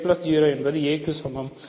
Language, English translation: Tamil, So, a is equal to a plus 0 right